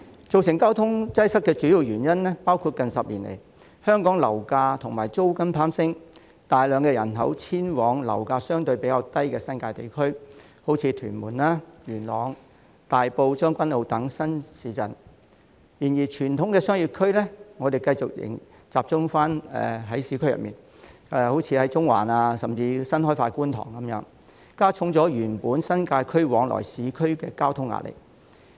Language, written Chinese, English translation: Cantonese, 造成交通擠塞的主要原因是，近10年來，香港樓價及租金攀升，大量人口遷往樓價相對較低的新界地區，例如屯門、元朗、大埔、將軍澳等新市鎮；但傳統商業區仍然集中在市區，例如中環，甚至新開發的觀塘，加重原本新界區往來市區的交通壓力。, The main cause of traffic congestion is that Hong Kongs property prices and rents have risen over the past decade . A large number of people have thus moved to the new towns in the New Territories where property prices are relatively lower such as Tuen Mun Yuen Long Tai Po Tseung Kwan O . Traditional business districts are still concentrated in the urban area such as Central or even the newly developed Kwun Tong